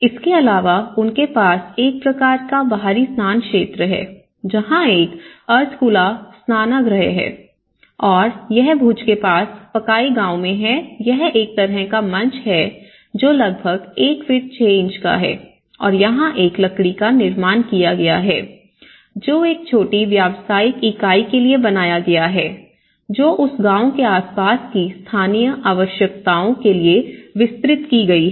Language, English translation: Hindi, Also, the typical bath, they have a kind of outdoor bathing areas like we have a semi open bath spaces and also this is in Pakai village near Bhuj and this is a kind of again a raised platform about one feet six inches and then there is a wooden construction which has been made for a small commercial entity which is scattered to the local needs of that village or nearby villages